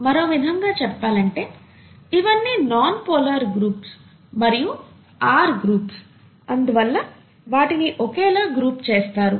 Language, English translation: Telugu, In other words, all these are nonpolar groups, the R groups and therefore they are grouped under this